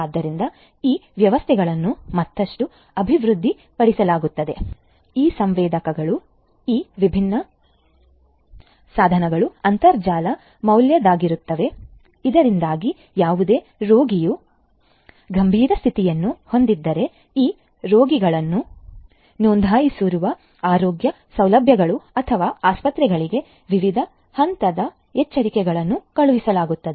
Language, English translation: Kannada, So, these systems would be further developed, they could these devices, these different sensors would be internet work so that if any patient has a critical condition, different levels of alerts would be sent to the healthcare facilities or hospitals to which this patients are registered